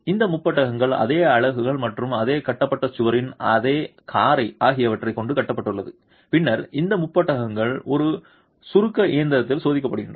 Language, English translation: Tamil, These prisms are constructed with the same units and the same motor as the wall it has been constructed and then these prisms are tested in a compression machine as well